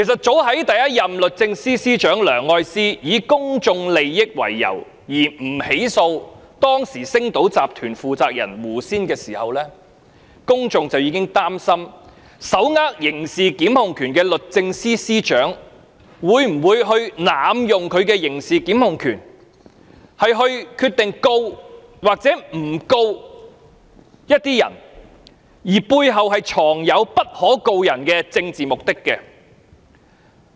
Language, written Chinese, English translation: Cantonese, 早在第一任律政司司長梁愛詩以公眾利益為由不起訴當時星島新聞集團有限公司負責人胡仙的時候，公眾已開始憂慮手握刑事檢控權的律政司司長會否因其背後藏有不可告人的政治目的而濫用其刑事檢控權，決定是否檢控某些人。, Members of the public began to worry that the Secretary for Justice who is empowered to institute criminal prosecution would abuse the power of criminal prosecution by not prosecuting a person for any ulterior political purpose as early as the time when the first Secretary for Justice Ms Elsie LEUNG decided not to prosecute Sally AW the responsible person of Sing Tao News Corporation Limited on the grounds of public interest